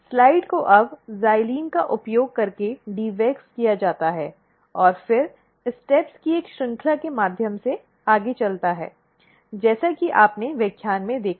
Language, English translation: Hindi, The slides are now dewaxed using xylene and then goes through a series of step as you have seen in the lecture